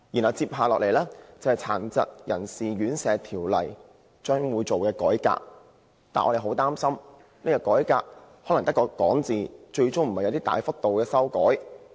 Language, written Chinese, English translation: Cantonese, 其後，大家得悉《殘疾人士院舍條例》會改革，但我們擔心改革會流於空談，最終不會有大幅修訂。, Members then learnt of the Governments plan to reform the Residential Care Homes Ordinance yet we worry that the remarks about a reform are empty words and that no significant amendment will be introduced